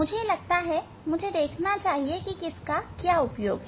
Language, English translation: Hindi, I think I have to see which one for what